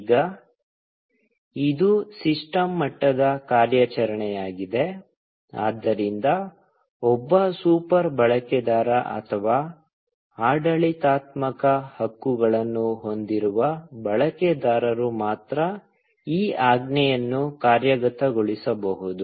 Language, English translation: Kannada, Now, this is a system level operation; so, only a super user, or a user with administrative rights, can execute this command